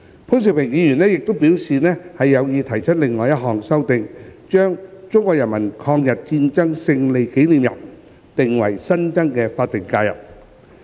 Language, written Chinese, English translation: Cantonese, 潘兆平議員亦表示有意提出另一項修正案，將中國人民抗日戰爭勝利紀念日訂為新增的法定假日。, Mr POON Siu - ping also indicated his intention to propose another amendment to the effect that the Victory Day of the Chinese Peoples War of Resistance against Japanese Aggression would be designated as a new SH